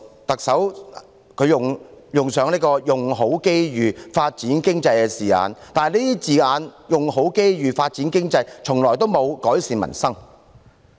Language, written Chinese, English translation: Cantonese, 特首林鄭月娥用上"用好機遇"、"發展經濟"等字眼，但這些字眼從來沒有改善民生。, Chief Executive Carrie LAM used such phrases as make best use of opportunities and develop the economy but these phrases have never served to improve the peoples lot